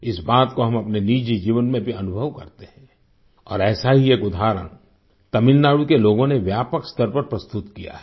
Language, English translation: Hindi, We experience this in our personal life as well and one such example has been presented by the people of Tamil Nadu on a large scale